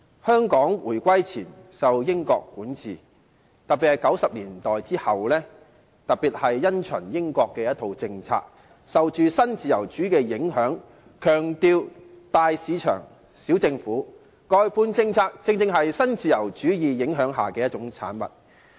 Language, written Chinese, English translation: Cantonese, 香港在回歸前受英國管治，特別在1990年代後，因循英國的政策，受新自由主義的影響，強調"大市場，小政府"，外判政策正是受新自由主義影響下的一種產物。, Hong Kong was under the British rule before the reunification . Following the British policy and influenced by neo - liberalism especially after the 1990s it emphasized the principle of big market small government . The outsourcing policy was exactly a product influenced by neo - liberalism